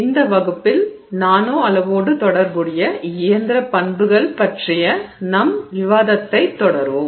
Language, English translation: Tamil, Hello, in this class we will continue our discussion on mechanical properties associated with the nanoscale